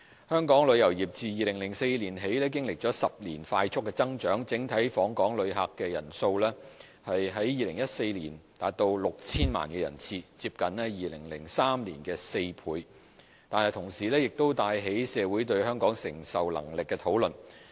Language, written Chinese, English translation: Cantonese, 香港旅遊業自2004年起經歷了10年的快速增長，整體訪港旅客人數於2014年達 6,000 萬人次，接近2003年的4倍，但同時亦帶起社會對香港承受能力的討論。, Hong Kongs tourism industry has since 2004 experienced 10 years of rapid growth with total visitor arrivals reaching as high as 60 million in 2014 nearly four times that of 2003 . This has nonetheless led to a public debate on Hong Kongs receiving capacity